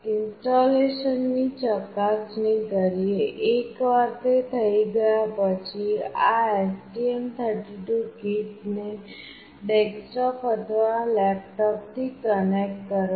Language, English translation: Gujarati, Next checking the installation; once it is already done connect this STM32 kit to the desktop or laptop